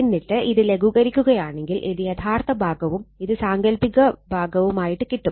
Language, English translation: Malayalam, Then you simplify you will get this is the real part and this is the imaginary part